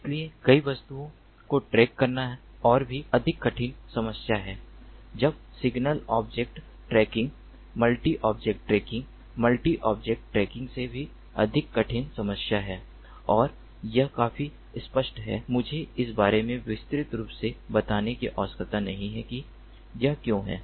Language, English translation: Hindi, so tracking multiple objects, is it even more difficult problem then single object tracking, multi object tracking is even more a difficult problem than multi objective, and that is quite obvious